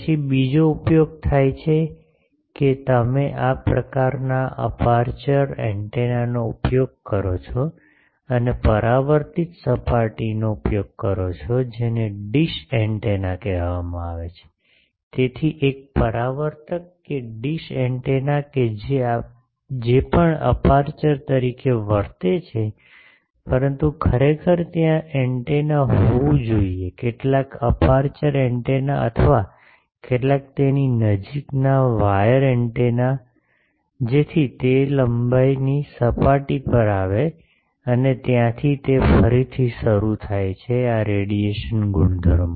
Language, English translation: Gujarati, Then there are another use that you use a this type of aperture antenna and use reflecting surface which is called dish antenna, so as a reflector that dish antenna that also behaves as an aperture, but actually there should be an antenna some aperture antenna or some wire antenna at its nearby, so that that comes to that length surface and from there it again starts takes this radiation properties